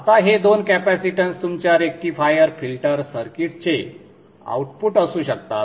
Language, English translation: Marathi, Now these two capacitances can be outputs of your rectifier filter circuits